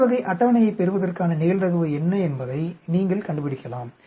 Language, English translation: Tamil, You can find out what is the probability of getting this type of table